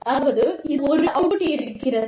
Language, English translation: Tamil, And, there is, some kind of output